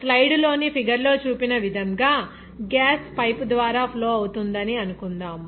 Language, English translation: Telugu, If suppose gas is flowing through a pipe as shown in the figure here in the slide